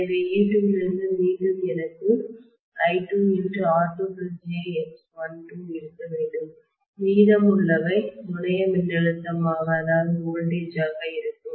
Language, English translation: Tamil, So from e2 again I should have I2 times R2 plus j X L2 dropping and rest of what is available will be the terminal voltage